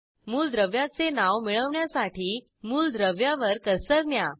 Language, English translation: Marathi, To get the name of the element, place the cursor on the element